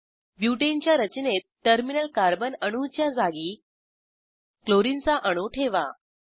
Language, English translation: Marathi, Lets replace the terminal Carbon atoms in Butane structure with Chlorine atoms